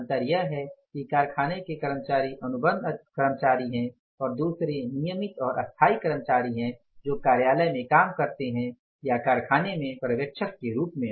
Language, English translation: Hindi, Differences, one are the contract employees working on the plant, second are the regular employees permanent and permanent employees working in the office or in the plant as supervisors